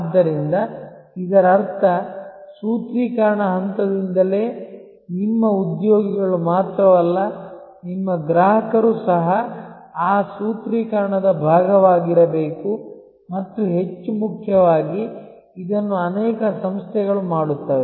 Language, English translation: Kannada, So, which means that right from the formulation stage, not only your employees, but even your customers should be part of that formulation and more importantly, this is done by many organizations